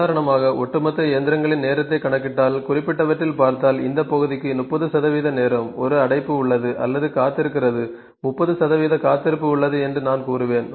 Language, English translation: Tamil, If we see that if we see the overall machines time and we see in the specific this section for the 30 percent of time; there is a blockage or for waiting I would say for the 30 percent of there is a waiting